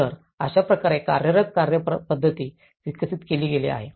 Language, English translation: Marathi, So, this is how the working methodology has been developed